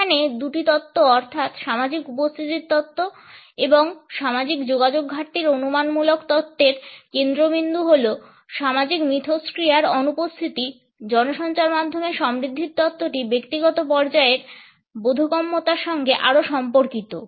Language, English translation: Bengali, Whereas the first two theoretical approaches, the social presence theory and the lack of social contact hypothesis, focus on the absence of social interaction, the media richness theory is more related with a comprehension at an individual level